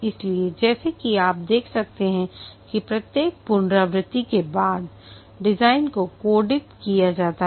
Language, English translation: Hindi, So here as you can see that the design after each iteration is after thought, the code is restructured